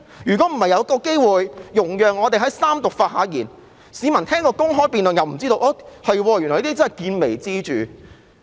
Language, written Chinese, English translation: Cantonese, 如果不是有一個機會讓我們在三讀時發言，市民根本不知始末，但原來是見微知著。, If we do not have the opportunity to speak at the Third Reading stage members of the public will not know the whole story